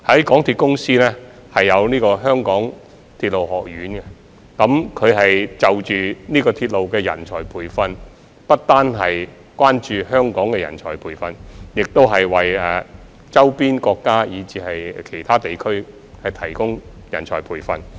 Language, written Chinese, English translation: Cantonese, 港鐵公司設有港鐵學院，提供鐵路人才培訓，他們不單關注香港人才培訓，也為周邊地區及國家提供人才培訓。, MTRCL has set up the MTR Academy to provide training for railway talents . They are not merely concerned about the training of talents for Hong Kong but also for neighbouring regions and countries